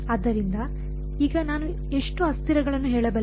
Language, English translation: Kannada, So, now how many variables can I say